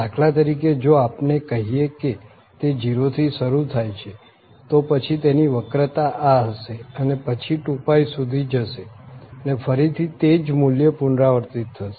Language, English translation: Gujarati, So, here for instance if we say this starts from 0 then it is having this curvature here and then goes up to this up to this 2 pi and then again this repeats its value